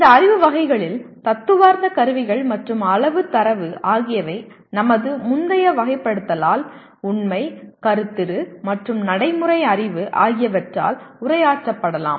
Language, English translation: Tamil, Of these knowledge categories, the theoretical tools and quantitative data can be considered addressed by our previous categorization namely Factual, Conceptual, and Procedural knowledge